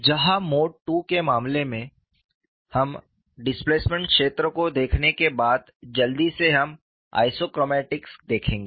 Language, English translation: Hindi, Where in the case of mode 2, we will quickly see after looking at the displacement field we will see the isochromatics